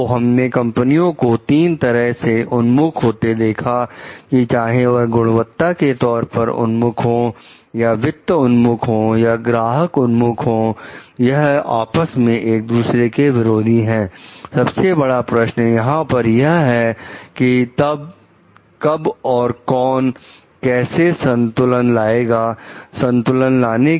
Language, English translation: Hindi, So, if we find like the three orientations of the companies whether it is quality oriented, whether it is finance oriented, customer oriented are like in contrast with each other, the biggest question lies over here; then, when and who, how to bring the balance, what can be done to bring the balance